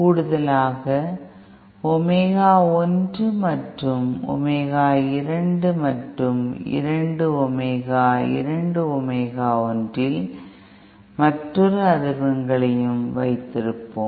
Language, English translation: Tamil, In addition we will also have omega 1 omega 2 and yet another frequencies at 2 omega 2 omega one